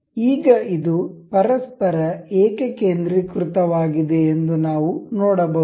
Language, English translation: Kannada, Now, we can see this is concentric to each other